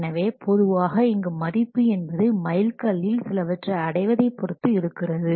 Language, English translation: Tamil, So, normally here the value will be assigned based on achievement of some milestones